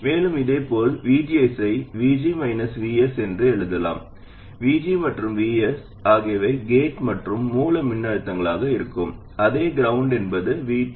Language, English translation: Tamil, And similarly, VGs can be written as VG minus VS, where VG and VS are gate and source voltages with respect to the same ground minus VT